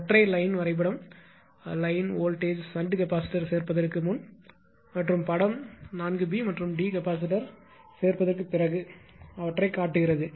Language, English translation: Tamil, So, the single line diagram or line and voltage to the diagram and before the addition of the shunt capacitor and figure 4 b and d shows them after the this thing